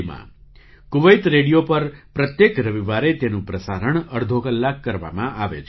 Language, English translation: Gujarati, It is broadcast every Sunday for half an hour on Kuwait Radio